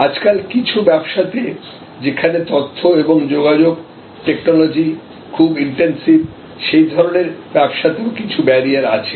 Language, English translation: Bengali, There are nowadays some information and communication technology intensive services which have some kind of barrier